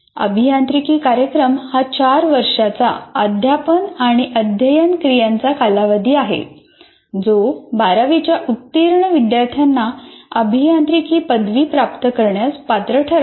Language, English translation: Marathi, Engineering program is a four year teaching and learning activity that can qualify 12th standard graduates to the award of engineering degrees